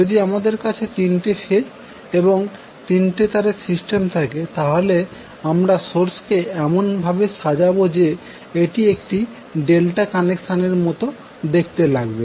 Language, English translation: Bengali, Now, if you have 3 phase 3 wire system, you will arrange the sources in such a way that It is looking like a delta connected arrangement